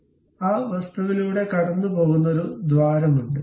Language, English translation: Malayalam, So, there is a hole which is passing through that entire object